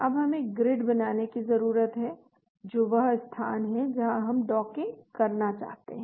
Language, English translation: Hindi, Now we need to create the grid that is the location where we want to do the docking